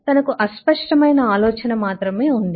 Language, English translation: Telugu, she had only had a vague idea